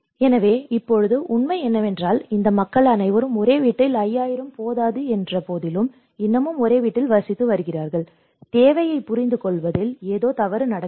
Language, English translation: Tamil, So, now the reality is all these people are still living in the same house despite that 5000 was not sufficient, and this is where something goes wrong in understanding the need